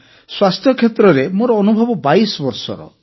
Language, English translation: Odia, My experience in health sector is of 22 years